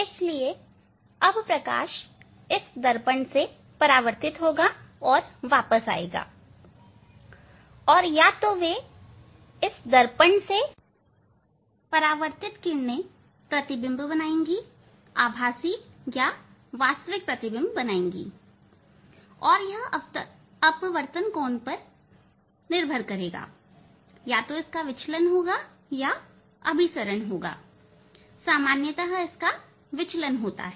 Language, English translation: Hindi, So now, light will be reflected from this mirror and they will come back; they will come back and either they will this reflected rays from this mirror they will form the image either virtual or real depending on the; depending on the angle of the refraction, whether it is diverging or converging generally it is diverge